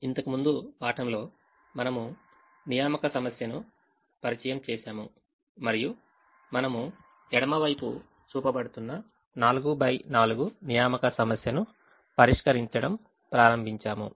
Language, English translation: Telugu, in the last class we introduced the assignment problem and we started solving a four by four assignment problem, which is shown on the left hand side